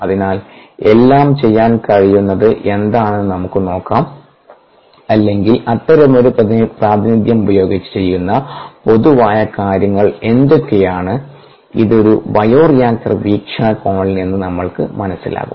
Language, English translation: Malayalam, so let us see what all can be done, or what are the common things that i would done with, with such a representation, which would be useful for us from a bioreactor point of view